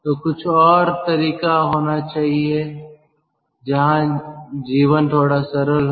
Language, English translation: Hindi, so there should be some other method where the life is little bit simple